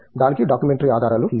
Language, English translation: Telugu, There is no documentary evidence for that